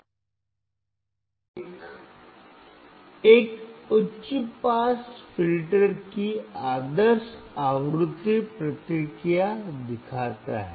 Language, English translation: Hindi, Figure 1 shows the ideal frequency response of a high pass filter